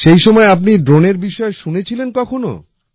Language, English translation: Bengali, So till then had you ever heard about drones